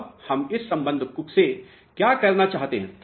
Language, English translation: Hindi, Now, what is that we want to do from this relationship